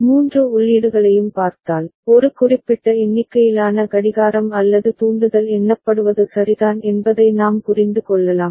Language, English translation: Tamil, If we look at all the three inputs, we can understand that a counting of a specific number of a clock or the trigger has happened ok